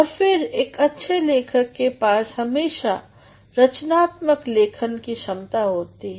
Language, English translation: Hindi, And then a good writer always has creative writing skills within